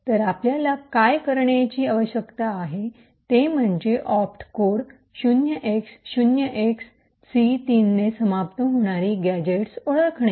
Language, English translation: Marathi, So, what we need to do is to identify gadgets which are ending with the opt code 0xc3